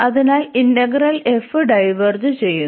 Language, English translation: Malayalam, So, in that case this integral f will also diverge